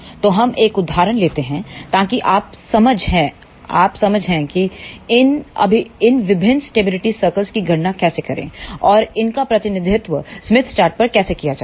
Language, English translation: Hindi, So, let us take an example; so, that you understand how to calculate these different stability circles and how these are represented on the smith chart